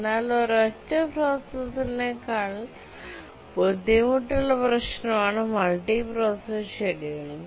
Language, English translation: Malayalam, But multiprocessor scheduling is a much more difficult problem than the single processor